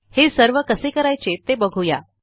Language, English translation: Marathi, So lets learn how to do all of this